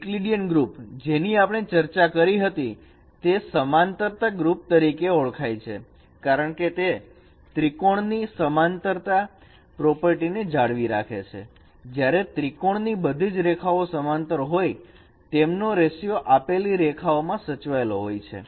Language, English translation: Gujarati, The Euclidean group what we discussed that can be also renamed that can be called also as a similarity group because it maintains a similarity property of triangles say when in a triangle the you draw a or the triangles when all the ages are parallel, then their ratios are preserved, ratio of ages they are preserved